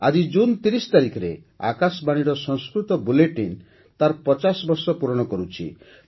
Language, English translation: Odia, Today, on the 30th of June, the Sanskrit Bulletin of Akashvani is completing 50 years of its broadcast